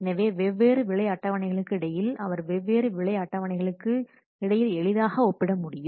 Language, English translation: Tamil, So comparably between different pricing schedules, he can compare easily between the different pricing schedules